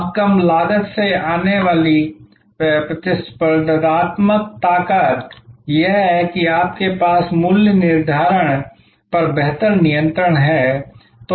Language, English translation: Hindi, Now, competitive strengths that come up from the lower cost is that you have a much better handle on pricing